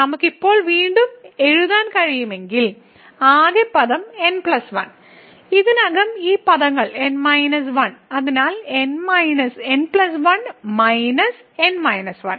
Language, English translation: Malayalam, So, if we can re write now the total term plus 1 and already these terms are n minus 1; so plus 1 minus minus 1